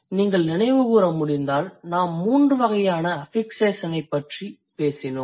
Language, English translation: Tamil, If you can recall, we did talk about three types of affixation